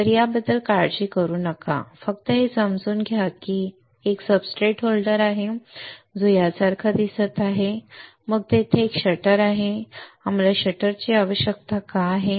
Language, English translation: Marathi, So, do not worry about this just understand that there is a substrate holder which looks like this alright, then there is a there is a shutter why we need shutter